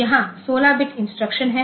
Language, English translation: Hindi, So, this is 32 bit instruction